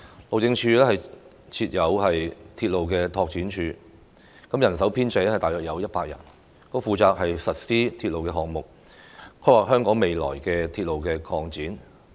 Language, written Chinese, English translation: Cantonese, 路政署設有鐵路拓展處，人手編制大約是100人，負責實施鐵路項目，規劃香港未來的鐵路擴展。, Under the Highways Department is the Railway Development Office RDO with a staff establishment of about 100 to implement railway projects and conduct planning for future railway expansion in Hong Kong